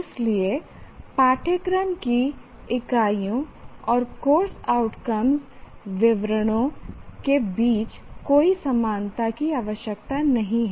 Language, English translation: Hindi, So there need not be any correspondence between units of a course and the course outcome statements